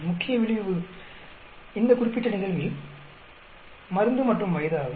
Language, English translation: Tamil, Main effect in this particular problem is drug and age